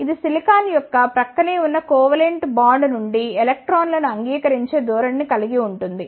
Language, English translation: Telugu, It has a tendency to accept the electrons from the adjacent covalent bond of the silicon